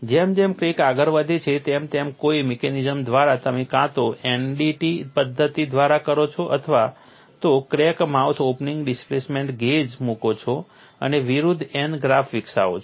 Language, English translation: Gujarati, You have to apply the fatigue load as the crack advances by some mechanism either you do by MDT method or put a crack mouth opening displacement gauge and develop a versus N graph